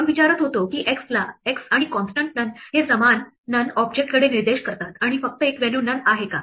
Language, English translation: Marathi, We were asking whether x and the constant none point to the same none object and there is only one value none